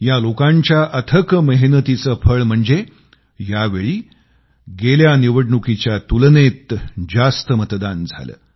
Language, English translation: Marathi, It is on account of these people that this time voting took place on a larger scale compared to the previous Election